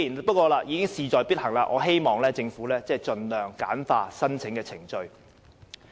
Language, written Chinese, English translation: Cantonese, 不過，既然事在必行，我唯有希望政府盡量簡化申請程序。, However as money will definitely be handed out I only hope that the Government will streamline the application process by all means